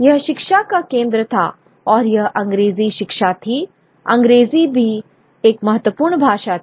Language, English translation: Hindi, It was a center of education and therefore it was English education, English also an important language